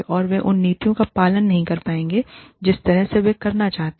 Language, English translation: Hindi, And, they will not be able to, follow those policies, at the way, they would like to